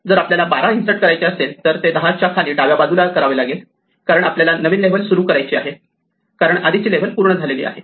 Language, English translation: Marathi, If we want to insert 12 it must come below the 10 to the left because we have to start a new level, since the previous level is full